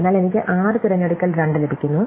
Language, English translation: Malayalam, So, I get 6 choose 2